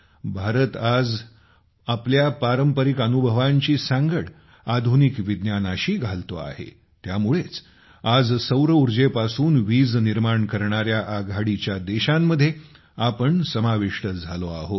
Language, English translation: Marathi, Today, India is combining its traditional experiences with modern science, that is why, today, we have become one of the largest countries to generate electricity from solar energy